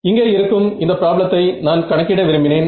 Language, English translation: Tamil, So, the problem over here this is the problem that I want to calculate